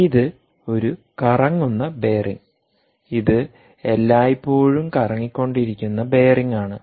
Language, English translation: Malayalam, this is the bearing which is rotating all the time